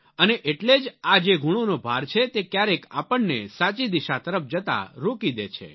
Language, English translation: Gujarati, And therefore this burden of hankering for marks hinders us sometimes from going in the right direction